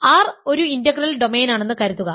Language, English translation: Malayalam, So, suppose R is an integral domain